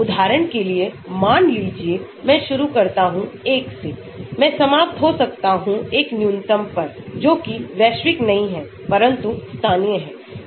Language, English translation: Hindi, For example, suppose I start with 1, I may end up with a minimum, which is not global but local